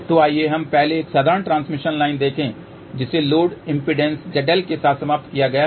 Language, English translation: Hindi, So, let us just see first a simple transmission line which has been terminated with a load impedance seidel